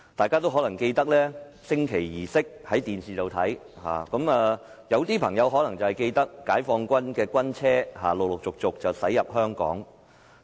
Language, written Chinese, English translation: Cantonese, 很多人可能觀看電視直播的升旗儀式，而有些朋友可能仍記得解放軍的軍車陸續駛入香港。, Many people might be watching the flag - raising ceremony through the live broadcast on television and some might still remember the scene of the Peoples Liberation Army vehicles crossing the border to Hong Kong